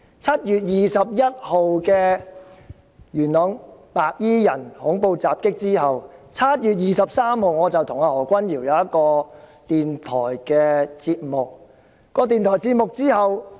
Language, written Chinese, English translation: Cantonese, 7月21日發生元朗白衣人的恐怖襲擊後，我在7月23日與何君堯議員出席一個電台節目。, After the terrorist attack by white - clad people in Yuen Long on 21 July Dr Junius HO and I attended a radio programme on 23 July